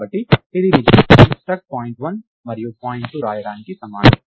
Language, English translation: Telugu, So, this is actually equivalent to writing struct point point1 and point2